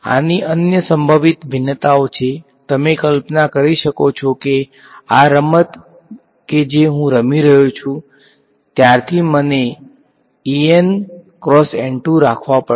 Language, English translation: Gujarati, There are other possible variations of this you can imagine that since this game that I am playing I have to keep en cross E 2